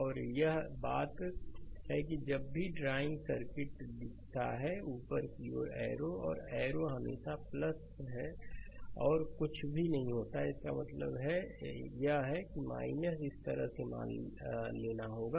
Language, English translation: Hindi, And one thing is there look whenever we are drawing circuit, if I show arrow upward I mean arrow like these and arrow is always plus and nothing is mark means this is minus right this way you have to assume